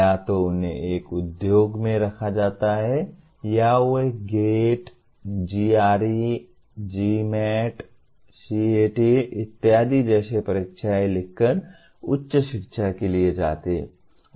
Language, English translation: Hindi, Either they get placed in an industry or they go for a higher education by writing a examinations like GATE, GRE, GMAT, CAT and so on